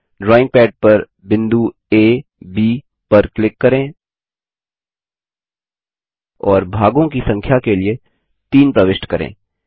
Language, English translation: Hindi, Click on drawing pad points A ,B, and enter 3 for the number of sides